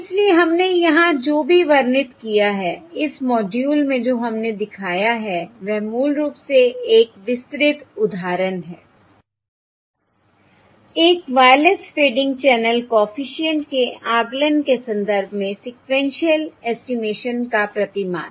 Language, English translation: Hindi, Alright, So what weve described here, what weve shown in this module, is a detailed example of basically the paradigm of sequential estimation illustrated in the context of estimation of a Wireless Fading Channel co efficient